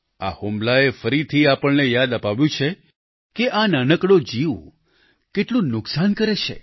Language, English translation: Gujarati, These attacks again remind us of the great damage this small creature can inflict